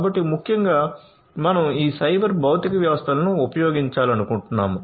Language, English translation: Telugu, So, essentially what we are trying to do is we want to use these cyber physical systems